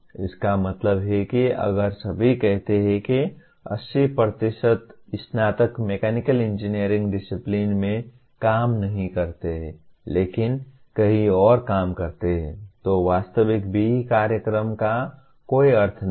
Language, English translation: Hindi, That means if everyone let us say 80% of the graduates do not work in mechanical engineering discipline but work elsewhere then the actual B